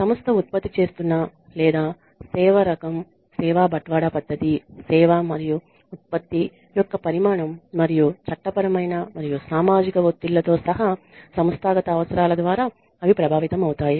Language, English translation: Telugu, And they are affected by the type of product or service that is being produced by the organization, the method of service delivery, the degree of quantification of service and/or product and the organizational needs including legal and social pressures